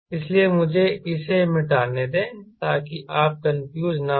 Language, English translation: Hindi, ok, so let me erase this that you are not confused